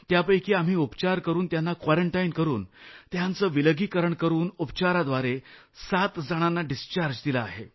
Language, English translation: Marathi, And out of those 16 cases, after due quarantine, isolation and treatment, 7 patients have been discharged Sir